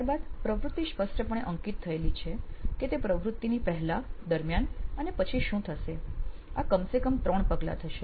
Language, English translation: Gujarati, Then the activity is clearly marked as to what the person is going to do before, during and after and at least 3 steps, so this guys followed that